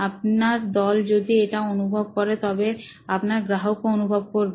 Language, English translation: Bengali, If this what your team is going your customer is going through